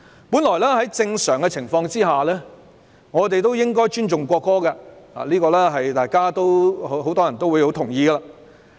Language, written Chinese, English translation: Cantonese, 本來在正常的情況下，我們應該尊重國歌，這是很多人也同意的。, Originally under normal circumstances we should respect the national anthem . Many people agree with this